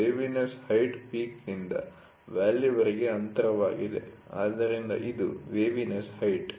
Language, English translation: Kannada, Waviness height is the distance between peak to valley, so this is waviness height